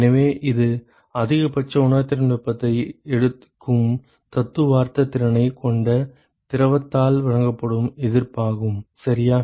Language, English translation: Tamil, So, this is the resistance that is offered by the fluid which has the theoretical capability to take maximum sensible heat, ok